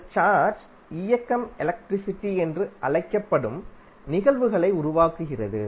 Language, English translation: Tamil, This motion of charge creates the phenomena called electric current